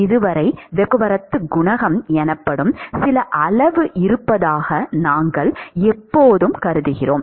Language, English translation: Tamil, So far, we always assume there is some quantity called heat transport coefficient and it is given to us